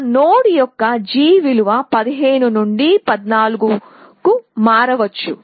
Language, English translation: Telugu, So, g of that node may change from 15 to 14